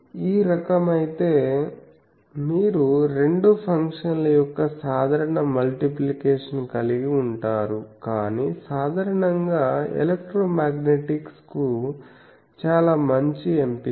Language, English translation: Telugu, So, if type is you can have simple multiplication of two functions, but more generally a very good choice for electromagnetic things is